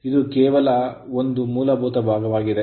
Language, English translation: Kannada, So, it is just a basic portion right